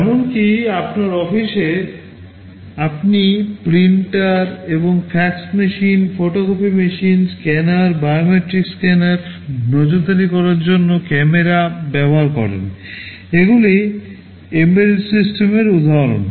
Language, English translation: Bengali, Even in your office you use printers and fax machines, photocopying machines, scanners, biometric scanner, cameras for surveillance, they are all examples of embedded systems